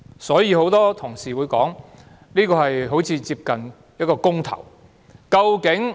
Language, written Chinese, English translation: Cantonese, 所以，很多同事會說，這次選舉非常接近一次公投。, Hence many colleagues say that this election is akin to a referendum